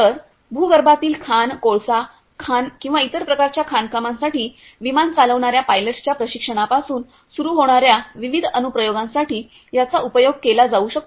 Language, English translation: Marathi, So, it can be used for varied application starting from training of pilots who are running the aircrafts for underground mining, coal mining or other types of mining